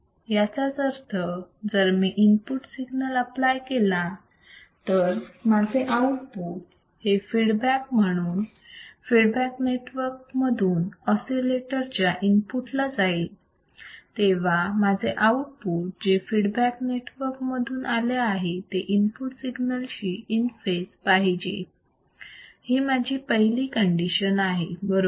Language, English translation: Marathi, That means, if I apply a input signal my output signal is feedback through the feedback network to the input of the oscillator, then my output which is fed back through the feedback network should be in phase with the input signal that is my first condition right